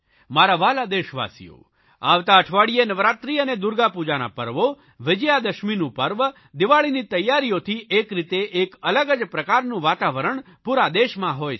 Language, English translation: Gujarati, My dear countrymen, from next week festive season will be ushered in with Navratri and Durga Puja, Vijayadashmi, preparations for Deepavali and all such activities